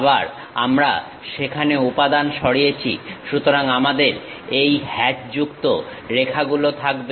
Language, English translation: Bengali, Again we have removed material there; so we will be having this hatched lines